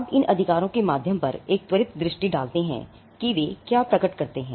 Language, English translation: Hindi, Now, just a quick run through on what these rights are what they manifest